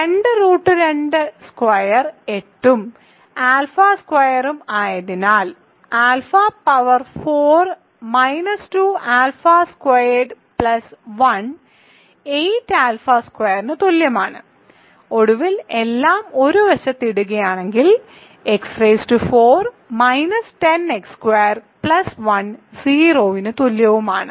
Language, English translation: Malayalam, Because two root 2 squared is 8 and alpha squared, that means alpha power 4 minus 2 alpha squared plus 1 equals 8 alpha squared and finally putting everything on one side I have alpha to the fourth minus 10 alpha squared plus 1 equal to 0